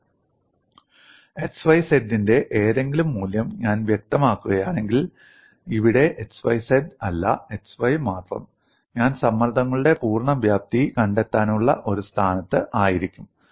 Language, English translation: Malayalam, If I specify any value of x y z, here, not x y z, only x y, I would be in a position to find out the complete magnitudes of stresses